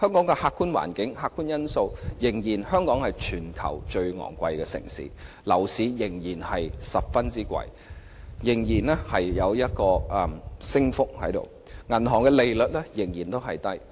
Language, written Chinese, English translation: Cantonese, 就客觀環境、客觀因素而言，香港仍然是全球最昂貴的城市，樓價仍然很高，升幅仍然很大，銀行利率仍然偏低。, In view of the objective environment and objective factors Hong Kong is still the most expensive city in the world property prices are still sky - high and have the potential to rise even further and interest rates are still ultra - low